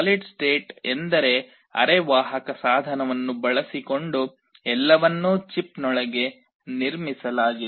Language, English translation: Kannada, Solid state means everything is built inside a chip using semiconductor device